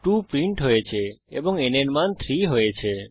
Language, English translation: Bengali, First, the value 1 is printed and then n becomes 2